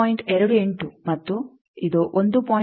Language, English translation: Kannada, 28 and this is 1